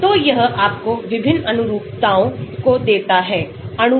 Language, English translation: Hindi, So, it gives you different conformations of the molecule